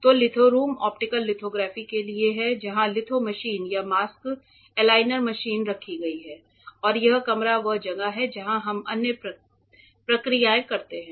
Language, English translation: Hindi, So, litho room is for the optical lithography which you might have covered in the course where the litho machine or the mask aligner machine is kept and this room is where we do other processes ok